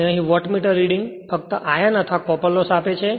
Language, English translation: Gujarati, And here, Wattmeter reading gives only iron or core loss